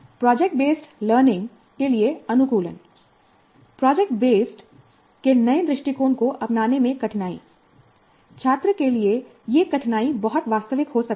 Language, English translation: Hindi, Then adapting to project based learning, difficulty in adapting to the new approach of project based instruction for students, this difficulty can be very real